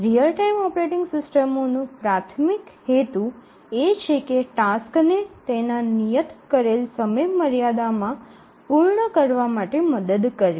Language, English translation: Gujarati, Actually the real time operating systems the primary purpose is to help the tasks meet their deadlines